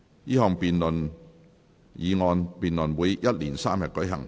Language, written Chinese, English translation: Cantonese, 這項議案辯論會一連三天舉行。, The debate on this motion will last for three days